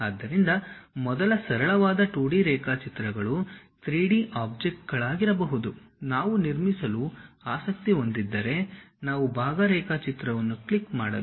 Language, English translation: Kannada, So, first 2D sketches may be simple 3D objects which are one unique objects if we are interested to construct, we have to click part drawing